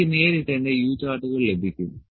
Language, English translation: Malayalam, And I will directly get my U charts